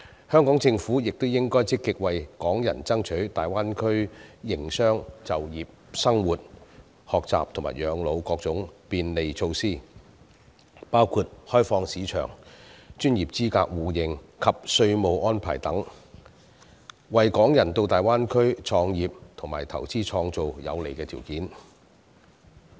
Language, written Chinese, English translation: Cantonese, 香港政府亦應積極為港人爭取在大灣區營商、就業、生活、學習和養老的各種便利措施，包括開放市場、專業資格互認及稅務安排等，為港人到大灣區創業和投資創造有利條件。, In order to create favourable conditions for Hong Kong people to start businesses and invest in the Greater Bay Area the Hong Kong Government should also proactively seek further facilitation measures for Hong Kong people to operate business work live study and retire in the Greater Bay Area . These measures include market liberalization mutual recognition of professional qualifications and taxation arrangements